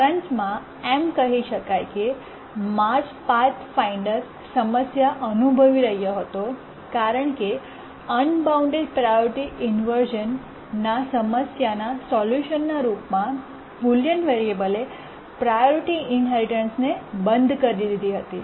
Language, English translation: Gujarati, In summary, I can say that the Mars 5th Pathfinder was experiencing problem because the solution to the unbounded priority inversion in the form of a priority inheritance procedure was disabled by the bullion variable